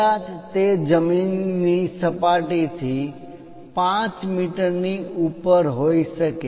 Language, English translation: Gujarati, Perhaps, it might be 5 meters above the ground level